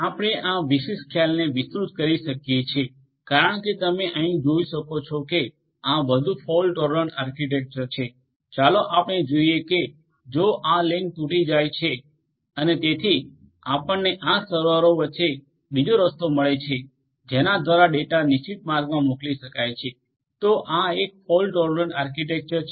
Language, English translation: Gujarati, You can extend this particular concept is as you can see over here that this is more fault tolerant architecture let us say that if this link breaks and so, you will find another path between these servers through which the data can be routed so, this is a fault tolerant architecture